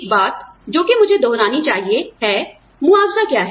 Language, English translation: Hindi, One thing, that I must revise is, one, what is compensation